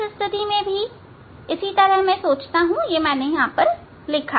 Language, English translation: Hindi, in this case also same similar way I think I have yes, I think here I have written